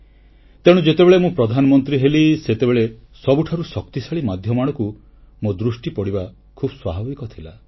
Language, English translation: Odia, Hence when I became the Prime Minister, it was natural for me to turn towards a strong, effective medium